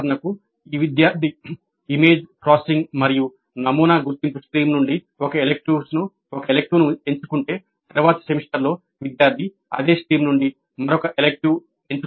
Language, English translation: Telugu, For example if the student picks up one elective from let us say image processing and pattern recognition stream in the next semester the student is supposed to pick up another elective from the same stream